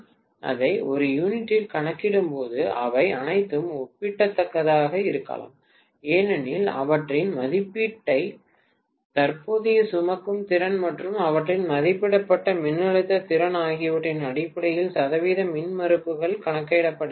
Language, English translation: Tamil, When I calculate it in per unit, all of them may be comparable because percentage impedances are calculated in terms of their rated current carrying capacity and their rated voltage capacity